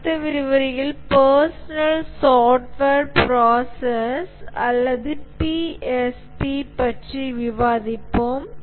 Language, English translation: Tamil, We'll just stop here and in the next lecture we'll discuss about the personal software process or PSP